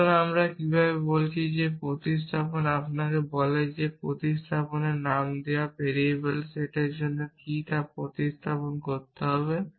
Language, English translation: Bengali, So, how we are saying is that the substitution tells you what to substitute for the set of variables named in the substitution